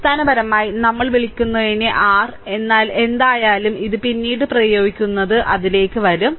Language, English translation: Malayalam, So, basically your what you call, but anyway you are applying this later I will come to that